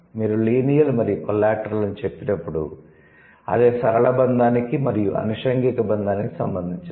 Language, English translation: Telugu, So, when you say linear and collateral, so that obviously that is related to the linear bonding and then the collateral bonding